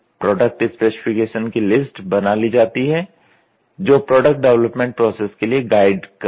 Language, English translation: Hindi, The list of product specification is prepared from here which guides the product development process